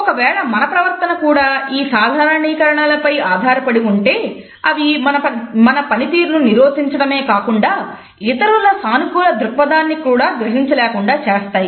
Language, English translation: Telugu, If our behavior is governed by these stereotypes then it not only inhibits our performance, but it also makes us less receptive as far as the other peoples positive intentions are concerned